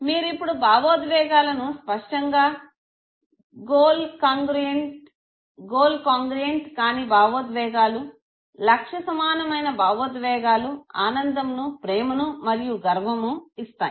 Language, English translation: Telugu, So you can now clearly divide emotions in terms of goal congruent emotions and goal incongruent emotions, the goal congruent emotions will involve happiness, love and pride